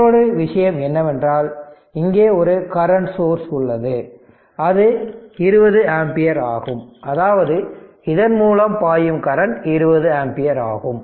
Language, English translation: Tamil, And an another thing is that this is current source is here one current source is here, and it is 20 ampere; that means, current flowing through this is 20 ampere